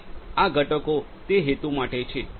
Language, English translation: Gujarati, And these components are for that purpose